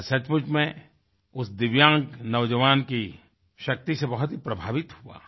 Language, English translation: Hindi, I was really impressed with the prowess of that divyang young man